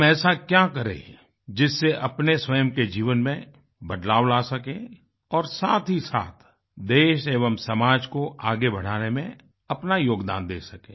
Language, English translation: Hindi, What exactly should we do in order to ensure a change in our lives, simultaneously contributing our bit in taking our country & society forward